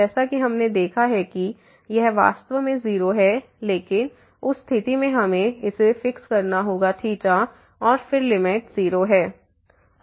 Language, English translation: Hindi, As we have seen that this is indeed 0, but in that case we have to fix this theta and then the limit is 0